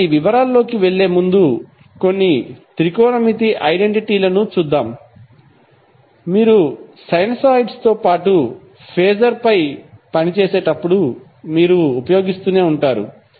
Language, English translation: Telugu, So, before going into the details, let's see a few of the technometric identities which you will keep on using while you work on sinosides as well as phaser